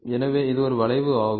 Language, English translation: Tamil, So, here is a curve